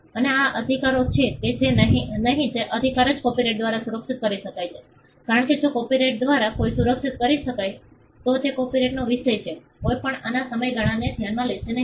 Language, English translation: Gujarati, And these rights or not rights which can be protected by copyright, because if something can be protected by copyright, then that is a subject matter of copyright nobody will go for a lesser term look at the duration of this